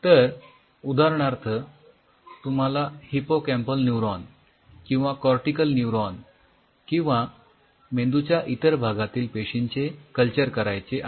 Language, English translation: Marathi, So, for example, you want culture they have hippocampal neuron or cortical neuron or any part of the brain